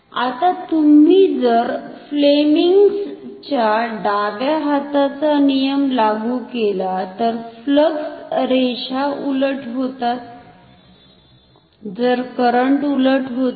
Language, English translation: Marathi, Now, if you apply Fleming’s left hand rule, the flux lines are reversed the current is reversed